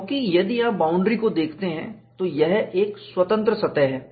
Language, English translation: Hindi, Because, if you look at the boundary, it is a free surface